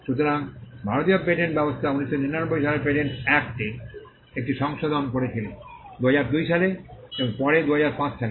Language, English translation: Bengali, So, the Indian patent system went through a series of amendments to the patents act in 1999, followed in 2002 and later on in 2005